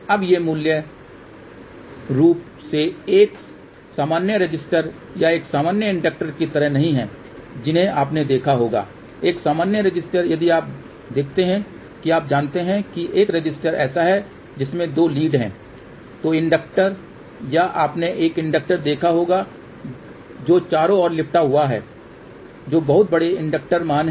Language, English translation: Hindi, A normal resistor if you see that is you know a resistor is like this and there are two leads are there or inductor you would have seen a inductor which is wrapped around those are very large inductor values